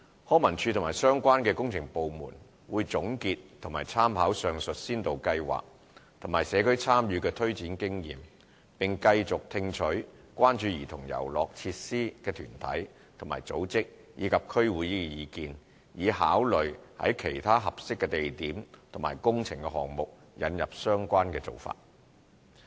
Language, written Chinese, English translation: Cantonese, 康文署及相關工程部門會總結及參考上述先導計劃和社區參與的推展經驗，並繼續聽取關注兒童遊樂設施的團體和組織，以及區議會的意見，以考慮在其他合適的地點及工程項目引入相關的做法。, LCSD and the relevant works departments will summarize and draw reference from experiences gained from the above mentioned pilot scheme and community involvement . Concern groups and organizations as well as District Councils will be further consulted with a view to considering adopting the same approach in other suitable locations and projects